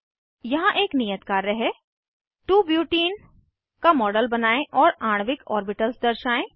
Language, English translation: Hindi, Here is an assignment Create a model of 2 Butene and display molecular orbitals